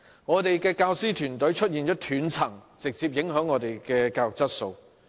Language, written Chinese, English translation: Cantonese, 我們的教師團隊出現了斷層，直接影響教育質素。, There is a succession gap in our teaching force directly affecting the quality of education